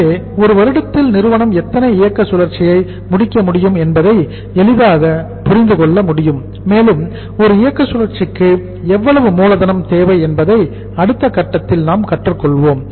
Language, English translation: Tamil, So you can easily understand that in a year how many operating cycle the company can complete and one operating cycle is requiring how much capital that will be for us uh the next stage to learn